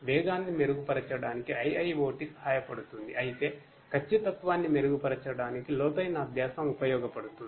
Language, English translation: Telugu, IIoT is helpful for improving the speed; whereas, deep learning is useful for improving the accuracy